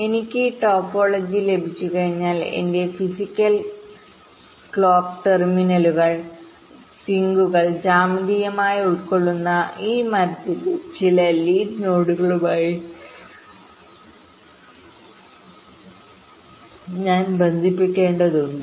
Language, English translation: Malayalam, ah, once i have the topology, i have to actually connect my physical clock terminals, the sinks, to some lead node of this tree, that is the geometrically embedding